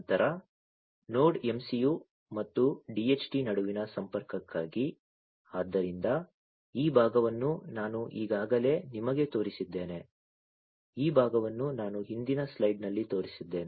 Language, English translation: Kannada, Then then for the connection between the Node MCU and the DHT; so, this part I have already shown you, this part I have shown you in the previous slide